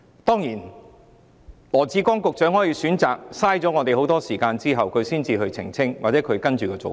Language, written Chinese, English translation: Cantonese, 當然，羅致光局長可以選擇浪費我們大量時間之後，才澄清他其後的做法。, Of course Secretary LAW may opt to waste a huge amount of our time before clarifying his approach